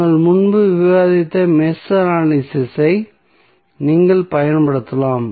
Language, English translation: Tamil, You can use Mesh Analysis which we discussed earlier